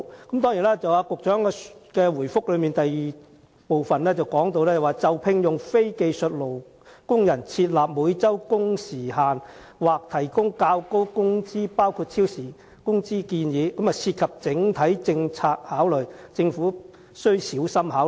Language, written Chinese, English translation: Cantonese, 局長在主體答覆第二部分中表示，就聘用非技術工人設立每周工時限制或提供較高工資包括超時工資等建議，將涉及整體政策考慮，政府須小心考慮。, The Secretary stated in part 2 of the main reply that setting weekly working hours limits or offering higher wages including overtime pay on the employment of non - skilled workers involved the Governments overall policy considerations and needed to be considered carefully